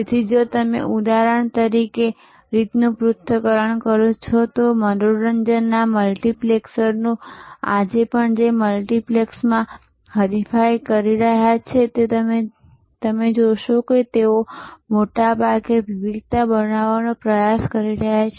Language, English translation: Gujarati, So, if you analyze the way for example, the multiplexes the entertainment multiplexers are today competing you will see their most often trying to create differentials